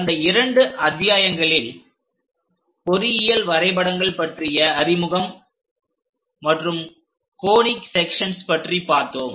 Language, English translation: Tamil, In the first two modules, we have learned about introduction to engineering drawings and conic sections